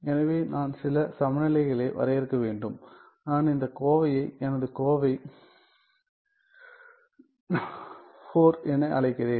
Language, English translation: Tamil, So, then I need to define some equivalence; let me call that let me call this expression as my expression IV right